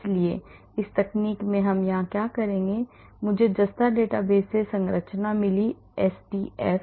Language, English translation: Hindi, So, in this, in this technique what would we do here I got the structure from Zinc database the SDF